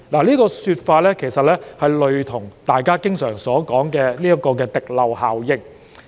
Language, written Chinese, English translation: Cantonese, 這說法其實類似大家經常提到的滴漏效應。, This is actually similar to the trickle - down effect frequently mentioned by Members